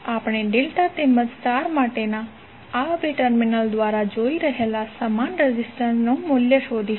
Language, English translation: Gujarati, We are going to find the value of the equivalent resistances seeing through these 2 terminals for delta as well as star